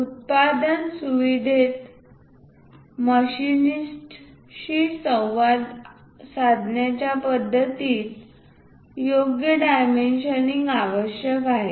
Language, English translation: Marathi, A method of communication to machinists in the production facility requires proper dimensioning